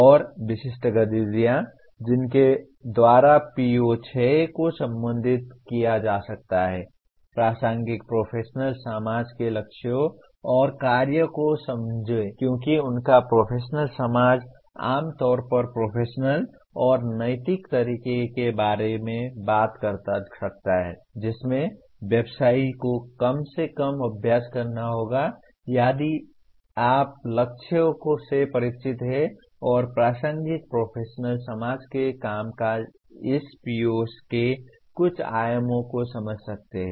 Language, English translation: Hindi, And the specific activities by which PO6 can be addressed: understand the goals and working of relevant professional society because their professional society can generally talks about the professional and ethical manner in which the practitioner will have to practice at least if you are familiar with the goals and working of relevant professional society one can understand some dimensions of this PO